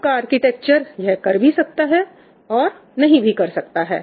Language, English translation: Hindi, Your architecture may or may not do that